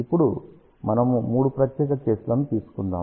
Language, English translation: Telugu, Now, we will take three special cases